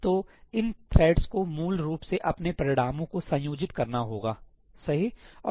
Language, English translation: Hindi, So, these threads have to basically combine their results